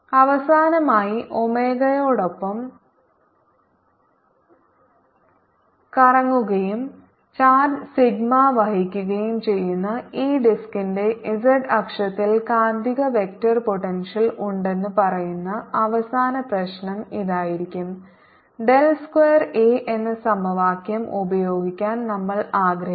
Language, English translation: Malayalam, finally, the last problem, which says that magnetic vector potential of on the z axis of this disc, which is rotating with omega and carries a charge, sigma will be we want to use this equation del square, a equals minus mu naught j